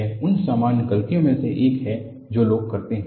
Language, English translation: Hindi, This is one of the common mistakes people do